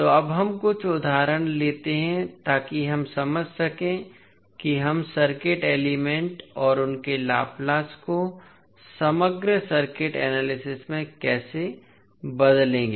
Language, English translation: Hindi, So now, let us take some examples so that we can understand how we will utilize the circuit elements and their Laplace transform in the overall circuit analysis